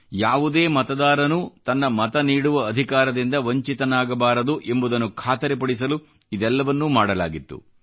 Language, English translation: Kannada, All this was done, just to ensure that no voter was deprived of his or her voting rights